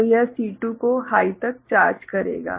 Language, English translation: Hindi, So, that will charge C2 to high